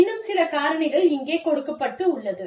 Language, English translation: Tamil, Some more factors here